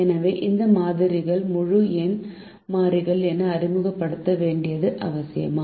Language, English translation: Tamil, so is it necessary to introduce these variables also as integer variables